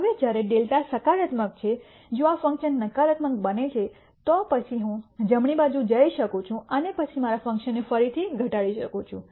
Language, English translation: Gujarati, Now, when delta is positive if this function turns out to be negative then I can go in the to the right and then minimize my function again